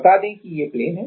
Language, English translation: Hindi, The, let us say this is the plane